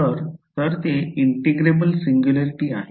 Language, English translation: Marathi, So, you have a integrable singularity over here